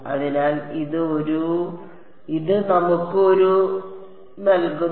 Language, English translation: Malayalam, So, this gives us a